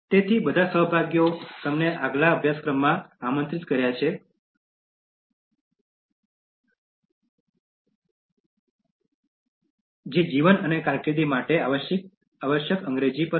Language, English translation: Gujarati, So, all the participants you are invited to the next course that will be on Essential English for Life and Career